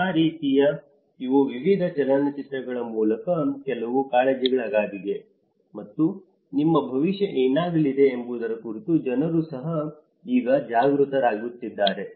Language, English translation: Kannada, In that way, these are some concerns through various films and people are also now becoming aware of what is going to be our future